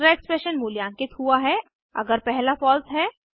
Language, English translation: Hindi, Second expression is evaluated only if first is false